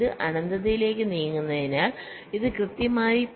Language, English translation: Malayalam, as it tends to infinity, this will be exactly point five